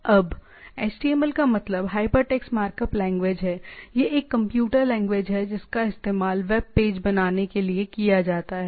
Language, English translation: Hindi, Now, the HTML stands for hypertext markup language, it is a computer language used to create web pages right